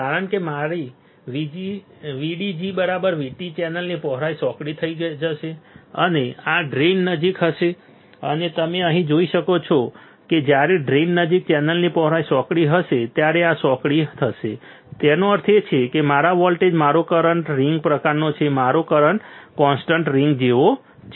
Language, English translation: Gujarati, Because my VDG is equals to V T the channel width will become narrow, and this will happen near the drain and you can see here the channel width near the drain will become narrower when this becomes narrower; that means, that my volt my current is kind of the rig is constant my current rig is like constant right And this particular voltage is called pinch off voltage